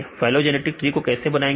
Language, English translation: Hindi, How to construct the phylogenetic tree